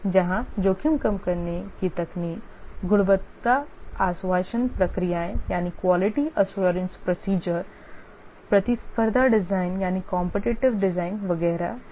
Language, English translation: Hindi, Here the risk reduction technique is quality assurance procedures, competitive design, etc